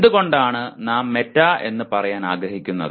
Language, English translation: Malayalam, That is why we use the word meta